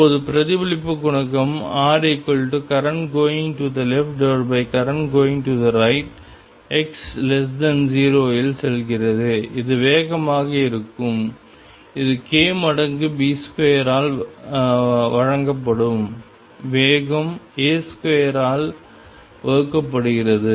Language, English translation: Tamil, Now, reflection coefficient R is the current to the left divided by current going to right in region x less than 0, this is going to be the speed which will be given by k times B square divided by speed A square